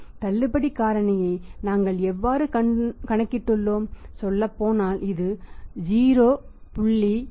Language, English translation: Tamil, How we have calculated the discount factor here we have used the discount factor that is the say 0